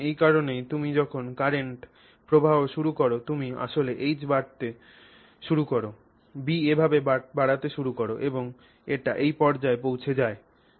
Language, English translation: Bengali, So, that is why when you start applying this current, when you start increasing this H, the B starts increasing this way and it reaches this point